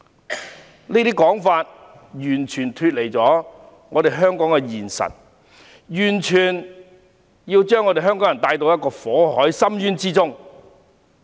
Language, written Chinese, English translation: Cantonese, 他們這種說法完全脫離香港的現實，完全是要把香港人帶往火海深淵之中。, Their remarks are totally out of touch with the reality of Hong Kong and they surely want to take Hong Kong people into the fires of hell